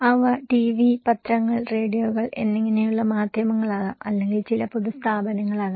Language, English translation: Malayalam, They could be mass media like TV, newspapers, radios or could be some public institutions